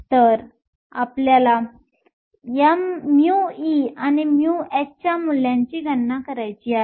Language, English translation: Marathi, So, we want to calculate the values of mu e and mu h